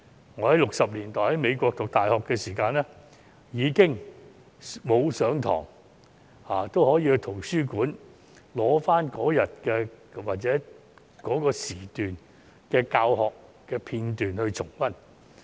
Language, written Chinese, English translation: Cantonese, 我於1960年代在美國讀大學時，即使沒有上堂也可以到圖書館取回指定時段的教學片段重溫。, When I went to university in the United States in the 1960s I could go to the library to retrieve the teaching clips of a specific period for review even if I did not attend the class